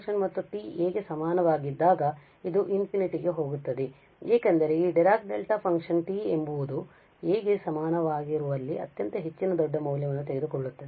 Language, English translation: Kannada, And when t is equal to a it is going to infinity because this Dirac Delta function takes very high large value where t is equal to a